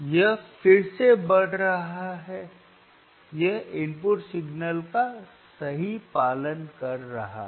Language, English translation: Hindi, the It is increasing again, it is following the input signal right